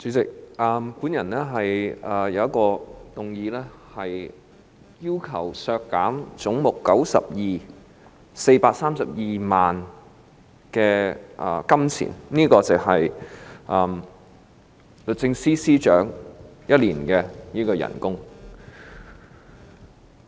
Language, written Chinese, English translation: Cantonese, 主席，我提出一項修正案，要求將總目92削減432萬元，相當於律政司司長1年的工資。, Chairman I propose an amendment to reduce head 92 by 4.32 million equivalent to one years salary of the Secretary for Justice